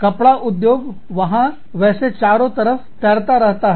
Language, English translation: Hindi, Textile industry, where fibers are floating around